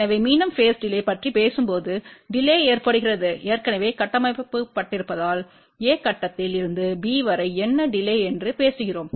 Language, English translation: Tamil, So, when we talk about again phase delay, so delay has already built in because we are talking from point a to b what is the delay